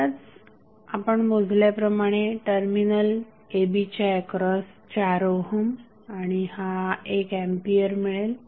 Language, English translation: Marathi, Now, you will have terminal a and b this you have just calculated equal to 4 ohm and this is 1 ampere